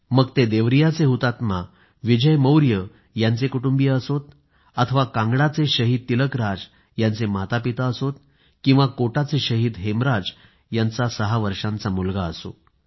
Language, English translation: Marathi, Whether it be the family of Martyr Vijay Maurya of Devariya, the parents of Martyr Tilakraj of Kangra or the six year old son of Martyr Hemraj of Kota the story of every family of martyrs is full of inspiration